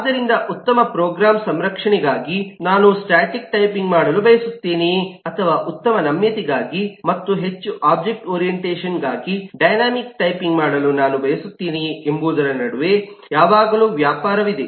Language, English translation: Kannada, so there is always a trade of between whether I want to do static typing for better program safety, or I want to do dynamic typing better flexibility and more object orientation